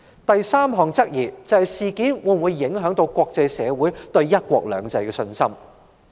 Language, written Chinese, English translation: Cantonese, 第三項質疑是，事件會否影響國際社會對"一國兩制"的信心。, The third doubt is whether this incident will affect the confidence of the international community in one country two systems